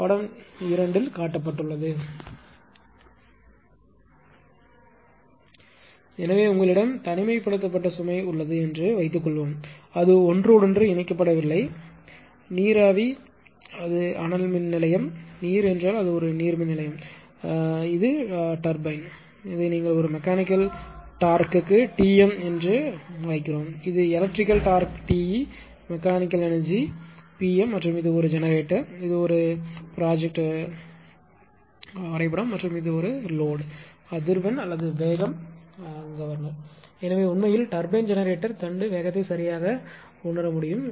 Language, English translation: Tamil, So, suppose you have isolated load means not interconnected right, suppose you have a this is valve if it is steam plant if it is a gate hydrogate then it is a hydropower plant, but general that is why written steam or water if it is a steam it is thermal power plant water means it is hydropower plant right and this is turbine and this is your what you call this is a mechanical torch this is a electrical torch T m is the mechanical power and this is a generator this is a schematic diagram and this is the load and this is the frequency or speed this is the governor, right